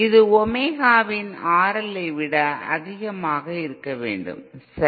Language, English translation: Tamil, It should be greater than R L of Omega, okay